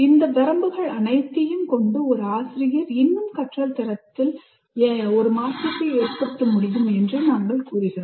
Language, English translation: Tamil, So with all these limitations, we claim or we say a teacher can still make a difference to the quality of learning